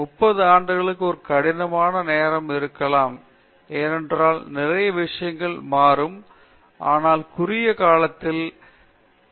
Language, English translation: Tamil, 30 years may be a difficult time, because it may be a difficult proposition, because lot of things will change, but in the short term short to medium term, the next 5 to 10 years where is it that I am finding lot of gaps